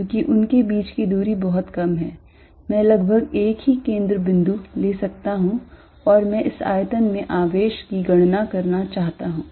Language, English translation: Hindi, Because, the distance between them is very small I can take almost a common centre and I want to calculate the charge in this volume